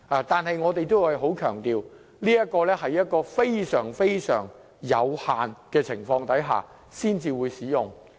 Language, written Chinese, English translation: Cantonese, 不過，我們仍要強調，它必須在非常有限的情況下，才會被行使。, However we have to emphasize that the power should be exercised with strict limitations